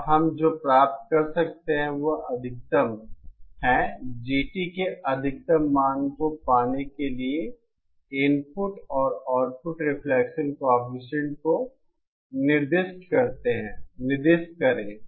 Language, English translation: Hindi, And what we can obtain is the maximum, specify the input and output reflection coefficients for opening the maximum value of GT